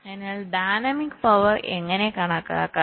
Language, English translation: Malayalam, so how do we calculate the dynamic power